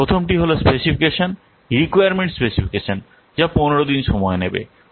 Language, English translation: Bengali, What is the first, first one is specification, requirement specification that will take 15 days